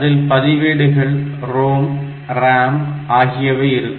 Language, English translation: Tamil, It includes the registers, ROM and RAM